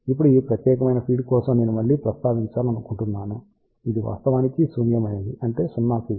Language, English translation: Telugu, Now, I just want to mention again for this particular feed this is actually null ok; that means, 0 field